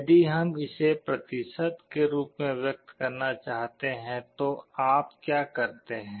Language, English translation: Hindi, If we want to express it as a percentage, what do you do